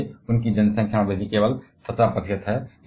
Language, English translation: Hindi, Well, their population growth is only 17 percent